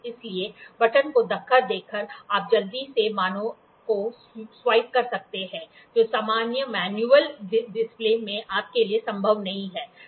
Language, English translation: Hindi, So, by push button, you can quickly swap the values, which is not possible for you in the in the normal manual display